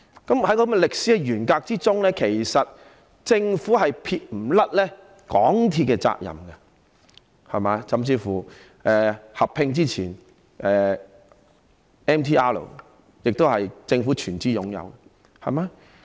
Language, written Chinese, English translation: Cantonese, 在這種歷史沿革之中，政府其實是不能撇清對港鐵的責任的，甚至港鐵在與九鐵合併前 ，"MTR" 亦是由政府全資擁有的。, In the course of this historical evolution the Government actually could not alienate itself entirely from its responsibilities for MTRCL and before the merger of MTRCL with KCRC MTRCL was also wholly owned by the Government